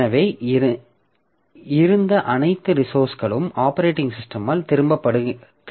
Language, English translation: Tamil, So all the resources that we had, so that is taken back by the operating system